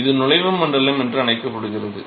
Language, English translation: Tamil, So, this is what is called the entry region